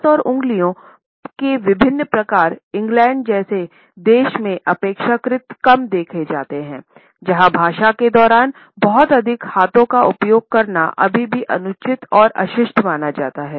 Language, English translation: Hindi, Gesticulating with hands and other different types of hand and finger movements are relatively less seen in a country like England, where using ones hands too much during the speech is still considered to be inappropriate and rude